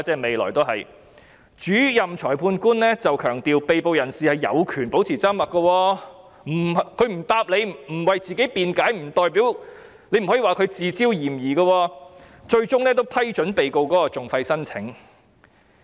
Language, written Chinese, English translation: Cantonese, 幸好主任裁判官強調，被捕人士有權保持緘默，他不回答，不為自己辯解，亦不能說他是自招嫌疑，最終亦批准被告的訟費申請。, Fortunately the Principal Magistrate stressed that the arrestee was entitled to remain silent and his refusal to give a reply or failure to defend himself did not lay himself open to suspicion . His application for the compensation of his legal costs was ultimately approved